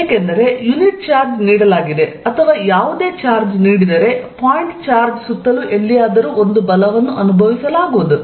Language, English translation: Kannada, So, notice that field exist everywhere, because given a unit charge or given any charge, anywhere around the point charge is going to experience a force